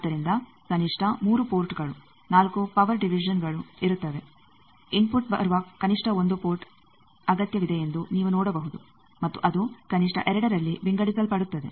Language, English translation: Kannada, So, there will be at least 3 ports 4 power division, you can see you require at least one port where the input will come and that will get divided at least in 2 if not more